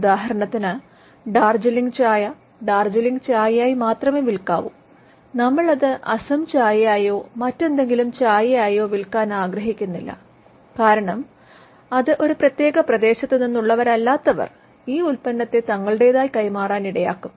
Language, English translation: Malayalam, For instance, Darjeeling tea should only be sold as Darjeeling tea, we do not want that to be sold as Assam tea or any other tea, because then that will allow people who do not come from a particular territory to pass of a product as another one, and it would also affect fair competition